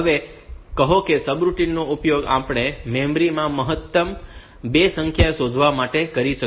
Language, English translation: Gujarati, Now, this subroutine we can use it to find say maximum of 2 numbers, like say in the memory